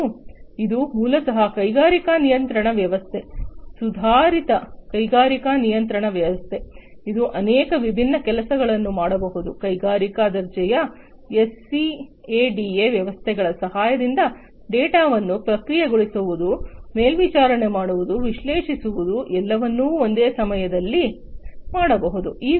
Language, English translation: Kannada, And it is basically an industrial control system, an advanced industrial control system, which can do many different things such as; processing, monitoring, analyzing data, all at the same time can be done, with the help of industry grade SCADA systems